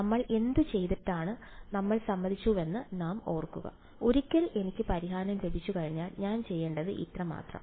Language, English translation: Malayalam, I have to remember we had agreed on what we will do, once I have got the solution all that I have to do is